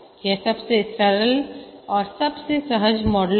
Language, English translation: Hindi, This is the simplest and most intuitive model